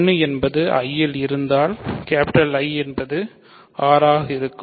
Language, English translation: Tamil, So, if 1 is in I then I is R